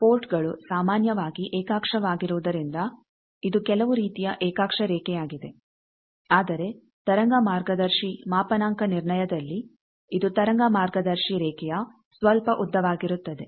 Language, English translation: Kannada, So, since the ports are coaxial generally , so it is some form of coaxial line, but in wave guide calibration is it can be some length of wave guide line